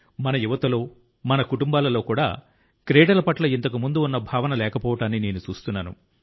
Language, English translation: Telugu, And secondly, I am seeing that our youth and even in our families also do not have that feeling towards sports which was there earlier